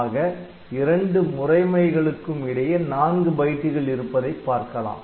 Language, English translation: Tamil, So, you will see that between 2 such modes so, we have got only 4 bytes